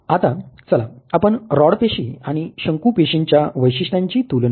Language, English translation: Marathi, Now let us just compare the characteristics of the rod in the cone cells